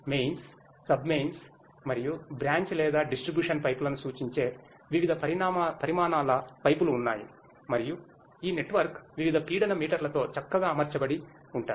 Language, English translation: Telugu, There are pipes of different sizes which represents mains, sub mains and the branch or distribution pipes and this network is nicely equipped with the various pressure meters